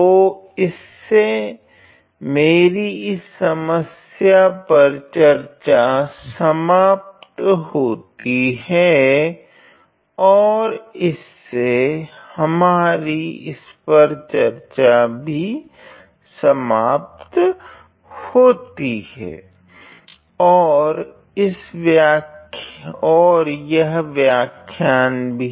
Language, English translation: Hindi, So, that is going to complete our discussion on the problem and that is also going to complete our discussion on this, this particular lecture